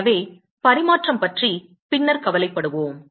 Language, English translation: Tamil, So, we will worry about transmission later